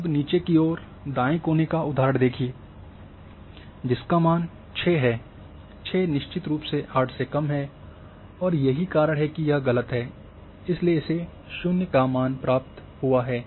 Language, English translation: Hindi, Let us see the example of a bottom right corner that is the value 6, 6 is definitely less than 8 and that is why it is false so it is assigned 0